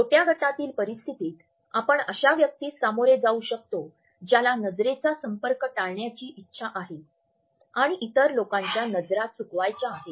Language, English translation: Marathi, In a small group situations we may come across an individual who wants to avoid eye contact and would not allow other people to catch his eyes very frequently